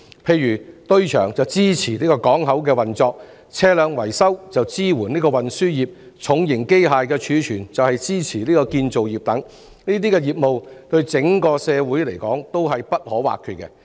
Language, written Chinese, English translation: Cantonese, 例如堆場支持港口運作、車輛維修則支援運輸業、重型機械的儲存則支援建造業等，這些業務對整個社會而言都是不可或缺的。, For example the container yard supports the ports operation vehicle maintenance supports the transport sector while the storage of heavy mechanical equipment supports the construction sector . These businesses are indispensable to the whole community